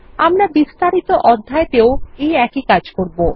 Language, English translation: Bengali, We will do the same with the Detail section as well